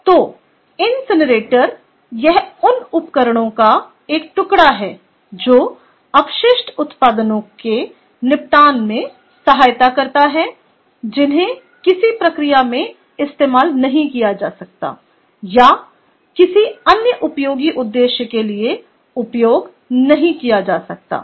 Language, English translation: Hindi, so the incinerator is a its, a piece of equipment which assists in the disposal of waste products that cannot be used in a processes or or used for anything useful, ok, for or for any other useful purpose, all right